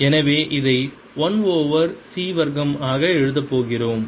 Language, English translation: Tamil, so we are going to write it as one over c square